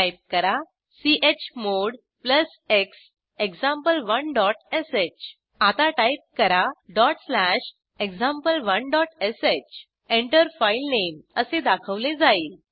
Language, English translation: Marathi, Type: chmod plus x example1 dot sh Now type dot slash example1.sh Enter filename is displayed